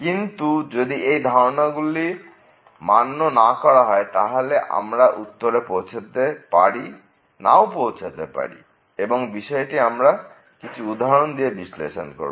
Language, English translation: Bengali, However, if the hypothesis are not met then you may or may not reach the conclusion which we will see with the help of some examples now